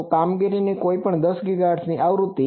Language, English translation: Gujarati, So any 10 GHz frequency of operation